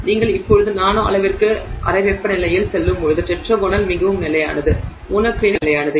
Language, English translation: Tamil, When you go to at room temperature when you now go to the nanoscale, tetragonal is more stable, monoclinic is less stable